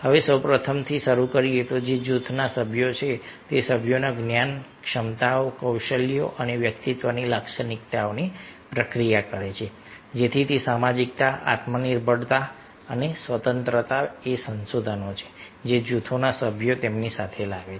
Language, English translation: Gujarati, now, starting with first one, that is, group member process, the members knowledge, abilities, skills and personality characteristics, that is, sociability, self reliance and independence, are the resources the group members bring in with them